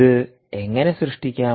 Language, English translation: Malayalam, how do you generate this